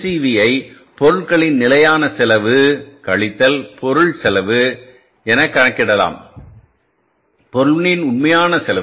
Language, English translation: Tamil, MCB can be calculated as standard cost of material, standard cost of material minus actual cost of material